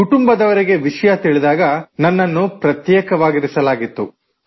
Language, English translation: Kannada, When the family first came to know, I was in quarantine